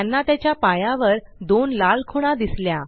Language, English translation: Marathi, They see two red spots on the foot